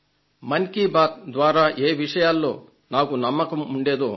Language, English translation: Telugu, "Mann Ki Baat" one year, many thoughts